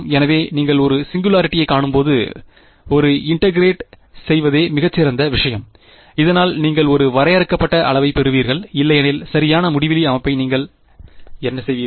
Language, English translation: Tamil, So, when you see a singularity, the best thing is to integrate, so that you get a finite quantity otherwise what do you do with a infinity setting there right